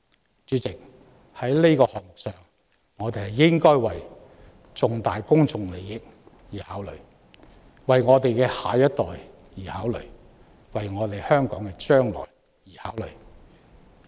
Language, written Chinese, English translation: Cantonese, 代理主席，對於"明日大嶼願景"，我們應該考慮重大公眾利益、考慮我們的下一代、考慮香港的將來。, Deputy President as regards the Lantau Tomorrow Vision we should consider significant public interests our next generations and the future of Hong Kong